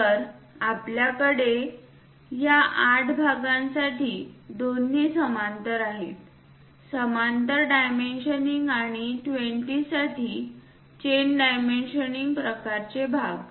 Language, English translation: Marathi, So, we have both the parallel for these 8 parts; parallel dimensioning and for this 20, chain kind of part